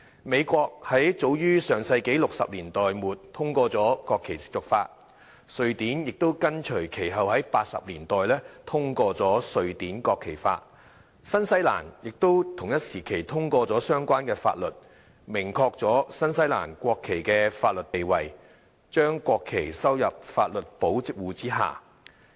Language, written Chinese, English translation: Cantonese, 美國早於上世紀60年代末通過了"國旗褻瀆法"；瑞典亦緊隨其後，在1980年代通過《瑞典國旗法》；新西蘭亦在同一時期通過相關法律，明確了新西蘭國旗的法律地位，將國旗收入法律保護之下。, In the United States the Flag Protection Act was enacted in the late 1960s of the last century . Sweden followed suit by passing the Law on the National Flag in the 1980s . New Zealand also passed a law on this to confirm the statutory status of the national flag of New Zealand and bring it under the protection of law